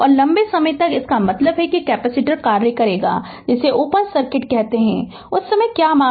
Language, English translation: Hindi, And for long time, that means ah capacitor will act as your, what you call an open circuit; at that time what is the value, that is the V infinity right